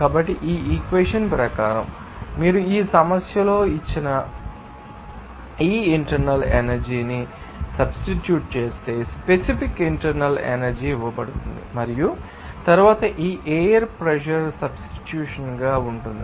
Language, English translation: Telugu, So, according to this equation, if you substitute this internal energy that is given in this problem specific internal energy is given and then substitute this air pressure is in one atmosphere